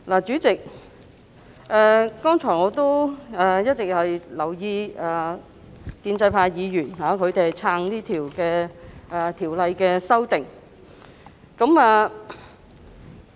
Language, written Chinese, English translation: Cantonese, 主席，我剛才一直留意建制派議員，他們是"撐"《條例草案》提出的修訂的。, President as I have just been observing the pro - establishment Members they are supporters of the amendments proposed by the Bill